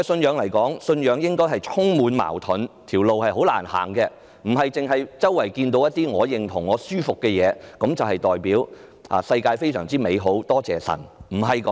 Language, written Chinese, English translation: Cantonese, 對我來說，信仰應是充滿矛盾和滿途荊棘，而不是只看到四周我認同和感到舒服的事物，顯示世界非常美好，感謝神，不是這樣。, To me a religious belief should be full of conflicts and obstacles . It should not only embrace things that are agreeable to me or I feel good about . It should not show only a perfect world